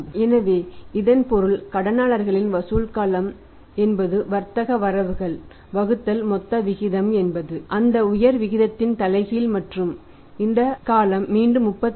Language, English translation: Tamil, So, it means that is debtors collection period is trade receivables divided by the gross ratio is a reverse of that upper ratio and this period comes out as again 36